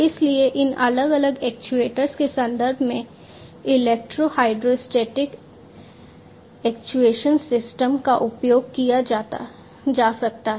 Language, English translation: Hindi, So, in terms of these actuators different actuators could be used electro hydrostatic actuation system